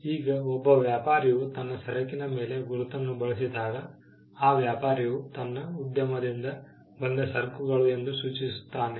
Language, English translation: Kannada, Now, a trader when he uses a mark, the trader signifies that the goods are from his enterprise